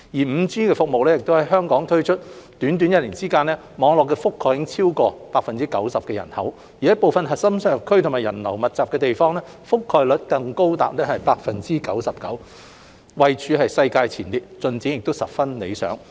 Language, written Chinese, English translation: Cantonese, 5G 服務在香港推出短短一年之間，網絡覆蓋已超過 90% 的人口，部分核心商業區及人流密集的地方，覆蓋率更高達 99%， 位處世界前列，進展十分理想。, Remarkable progress has been made after the roll - out of 5G services in Hong Kong for just one year covering over 90 % of the population and the coverage in some core business districts and areas with high pedestrian flow has even reached 99 % which is among the highest in the world